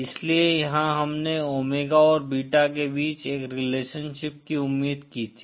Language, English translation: Hindi, So here we had expected a lender relationship between omega and beta